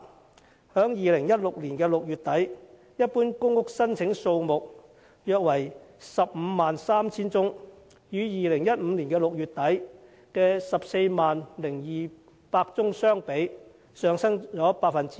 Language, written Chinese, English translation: Cantonese, 截至2016年6月底，一般公屋申請數目約為 153,000 宗，與2015年6月底的 140,200 宗相比，上升了 9%。, As at late - June 2016 the number of PRH applications was around 153 000 an increase of 9 % when compared with the 140 200 applications recorded in late - June 2015